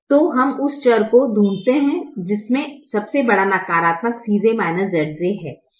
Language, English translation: Hindi, so we find that variable which has the largest positive c j minus z j